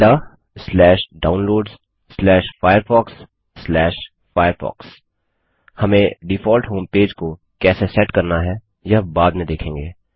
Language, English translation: Hindi, ~ /Downloads/firefox/firefox We will see how to set up the default homepage later